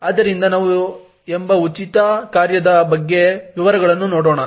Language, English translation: Kannada, So let us look at details about the free function called